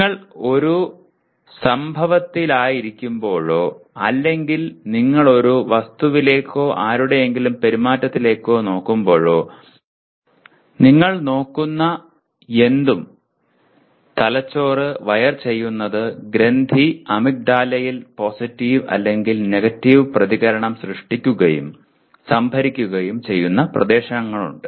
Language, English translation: Malayalam, Anytime you are in an event or you look at an object or you anybody’s behavior, anything that you look at, the brain is wired in such a way the gland amygdala has regions where a positive or negative reaction is created and stored even